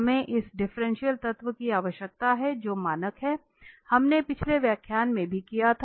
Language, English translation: Hindi, We need this differential element which is standard we have done in the last lecture as well